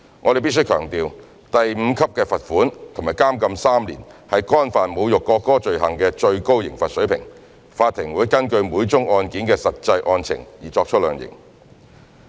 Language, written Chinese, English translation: Cantonese, 我們必須強調，第5級罰款及監禁3年是干犯侮辱國歌罪行的最高刑罰水平，法庭會根據每宗案件的實際案情而作出量刑。, We must stress that the fine at level 5 and the imprisonment for three years are the maximum penalty level and the Court will hand down the sentence having regard to the facts of individual cases